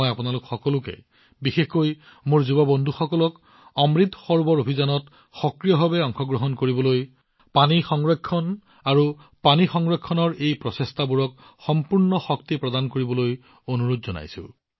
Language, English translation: Assamese, I urge all of you, especially my young friends, to actively participate in the Amrit Sarovar campaign and lend full strength to these efforts of water conservation & water storage and take them forward